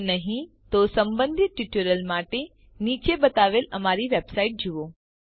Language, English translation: Gujarati, If not, for relevant tutorial please visit our website which is as shown